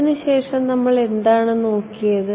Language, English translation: Malayalam, After that what did we look at